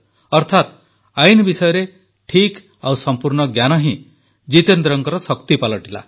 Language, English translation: Odia, This correct and complete knowledge of the law became the strength of Jitendra ji